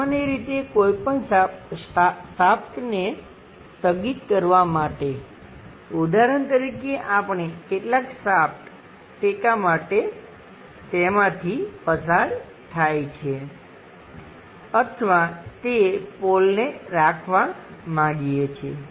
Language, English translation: Gujarati, Usually to suspend any shaft, for example, we would like to keep some shaft passing through that as a support or mast, something like a pole we would like tohold it